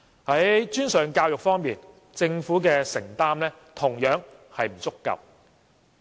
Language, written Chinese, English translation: Cantonese, 在專上教育方面，政府的承擔同樣不足夠。, The Governments commitment in tertiary education is also insufficient